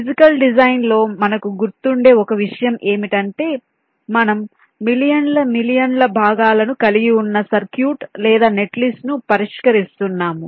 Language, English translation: Telugu, because one thing we remember: in physical design we are tackling circuit or netlist containing millions of millions of components